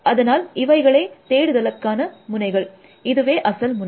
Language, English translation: Tamil, So, this is, so these are the search node, so this is the original node